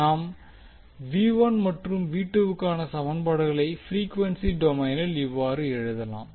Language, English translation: Tamil, Will write the equations for v 1 and v 2 in frequency domain